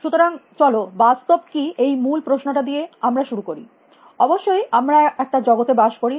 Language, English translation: Bengali, So, let us start with the basic question as that what is reality; of course, we live in a world